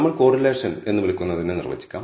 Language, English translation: Malayalam, Now, let us define what we call correlation